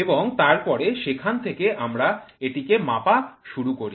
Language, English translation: Bengali, So, and then from there, we start measuring this one